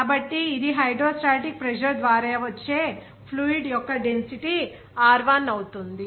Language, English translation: Telugu, So, it will be your hydrostatic pressure that is exerted by fluid of density Rho 1